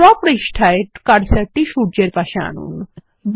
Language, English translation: Bengali, On the draw page, place the cursor next to the sun